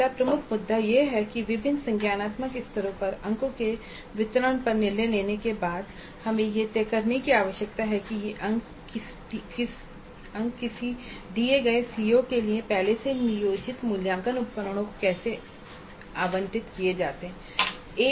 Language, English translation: Hindi, Then we need to decide the next major issue is that having decided on the distribution of marks to different cognitive levels we need to decide how these marks are allocated to the assessment instruments already planned for a given CIO